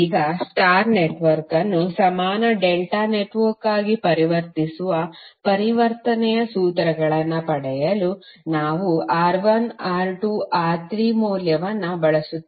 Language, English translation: Kannada, Now, to obtain the conversion formulas for transforming a star network into an equivalent delta network, we use the value of R1, R2, R3